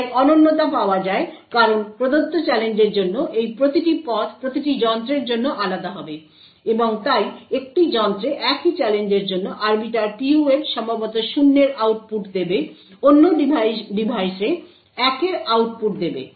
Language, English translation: Bengali, So the uniqueness is obtained because each of these paths for a given challenge would be different for each device and therefore on one device the same Arbiter PUF for the same challenge would perhaps give an output of 0, while on other device will give output of 1